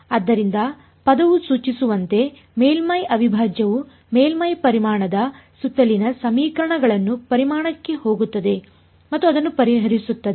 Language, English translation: Kannada, So, as the word suggests surface integral formulates the equations around the surface volume integral goes into the volume and solves it